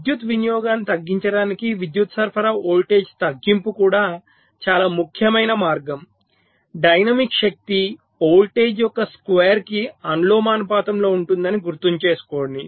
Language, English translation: Telugu, so reduction of power supply voltage is also very, very important way to reduce the power consumption because, you recall, dynamic power is proportional to this square of the voltage